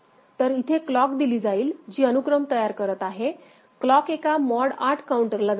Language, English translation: Marathi, So, clock will be given which is generating the sequence right to a that clock goes to a mod 8 counter right